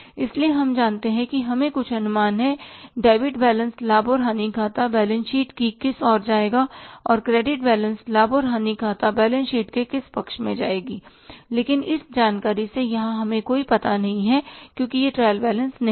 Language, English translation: Hindi, So, we know we have some idea that debit balances will go to which side of the profit and loss account and balance sheet and credit balances will go to which side of the profit and loss account and balance but here from this information we have no idea because it is not the trial balance